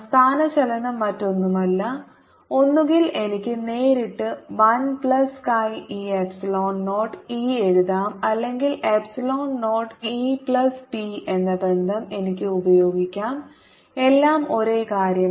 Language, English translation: Malayalam, displacement is nothing, but either i can directly write one plus chi e, epsilon zero, e, or i can use the relationship epsilon zero, e plus p, which is all the same thing